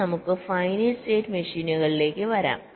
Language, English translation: Malayalam, now let us come to finite state machines